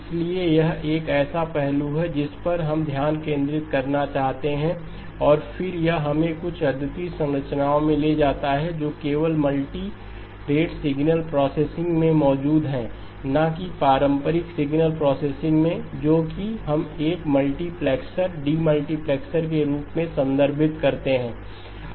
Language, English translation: Hindi, So that is an aspect that we want to focus upon and then this leads us into some unique structures that are present only in multirate signal processing not in traditional signal processing which is what we refer to as a multiplexer and demultiplexer